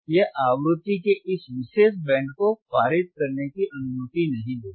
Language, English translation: Hindi, iIt will not allow this particular band of frequency to pass